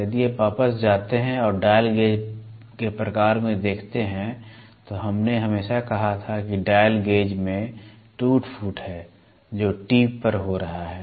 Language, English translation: Hindi, If you go back and see in the dial gauge type we always said that the dial gauge, there is a wear and tear which is happening at the tip